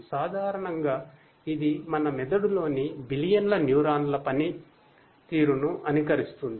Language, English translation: Telugu, Basically, it mimics the working function of billions of neurons in our brain deep